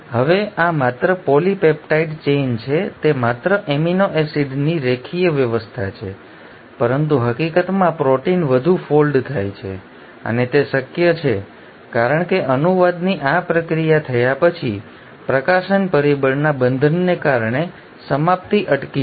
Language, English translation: Gujarati, Now this is just a polypeptide chain, it is just a linear arrangement of amino acids but in reality the proteins are much more folded and that is possible because after this process of translation has happened, the termination will stop because of the binding of release factor